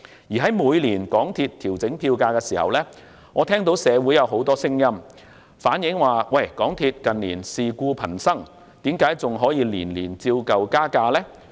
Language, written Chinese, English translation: Cantonese, 而每當港鐵公司調整票價，我都聽到社會上有很多聲音指港鐵公司近年事故頻生，問為何每年仍可依舊加價？, Whenever MTRCL adjusts its fares I always hear many voices in the community questioning the yearly fare hike in view of a spate of service disruptions in recent years